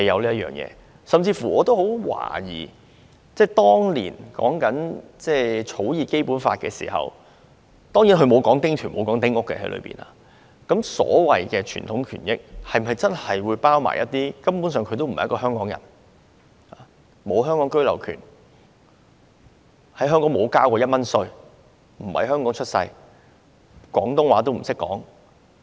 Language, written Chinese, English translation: Cantonese, 我甚至乎懷疑當年在草擬《基本法》的時候——當然《基本法》裏沒有說丁權、丁屋——所謂有傳統權益的居民，是否包括一些根本不是香港人，不是在香港出世，沒有香港居留權，在香港沒有繳交過任何稅款，不懂得說廣東話的人？, I even query that when the Basic Law was being drafted back then―small houses and small house concessionary rights are not even mentioned in the Basic Law―whether the so - called residents with traditional rights and interests would include those people who are not Hong Kong people or those who were not born in Hong Kong do not have the right of abode in Hong Kong have never paid any tax in Hong Kong or do not speak Cantonese . However these people can enjoy small house concessionary rights